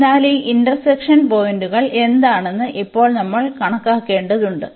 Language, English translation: Malayalam, So, on this we need to compute now what is this intersection points